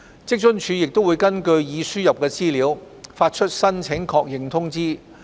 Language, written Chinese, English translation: Cantonese, 職津處會根據已輸入的資料發出申請確認通知。, WFAO issues acknowledgements to applicants based on the information entered